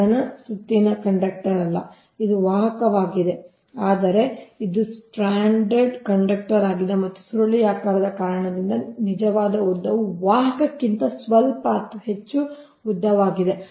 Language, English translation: Kannada, it is not a solid round conductor, it is conductor if it is stranded, stranded conductor right, and because of spiralling that actual length is slightly or longer than the conductor itself right